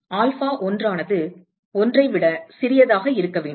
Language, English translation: Tamil, So, alpha1 that has to be smaller than 1